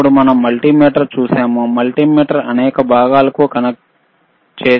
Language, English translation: Telugu, Then we have seen multimeter, we have connected multimeter to several components